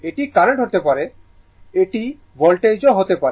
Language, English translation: Bengali, It may be current, it may be voltage, right